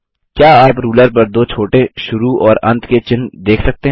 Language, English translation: Hindi, Can you see two small start and end marks on the ruler